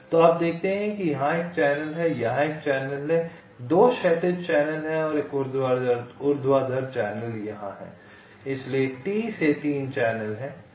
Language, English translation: Hindi, there is a channel here, two horizontal channels and one vertical channel here, so the three channels from ah t